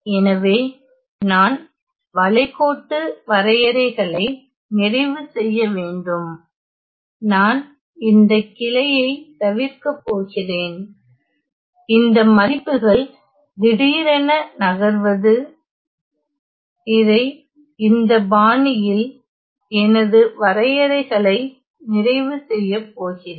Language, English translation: Tamil, So, I am to complete the contour; I am going to evade this branch this, these values where there is a sudden jump and I am going to complete my contour in this fashion ok